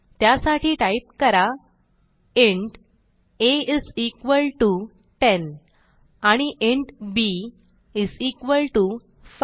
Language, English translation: Marathi, So type int a is equalto 10 and int b is equalto 5